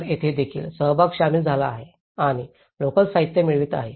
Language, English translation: Marathi, So, even here, the participation has been incorporated and getting the local materials